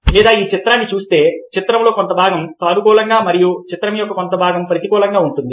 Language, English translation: Telugu, or if you, looking at this image, part of the image is positive and a part of the image is negative